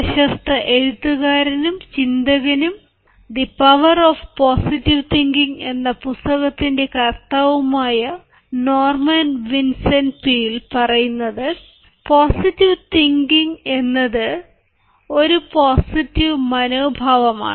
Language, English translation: Malayalam, norman vincent peale, one of the famous authors and positive thinkers, the writer of the power of positive thinking, says: positive thinking is a positive mental attitude, mental attitude